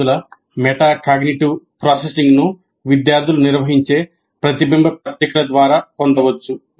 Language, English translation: Telugu, The metacognitive processing of the students can be assessed through reflective journals maintained by the students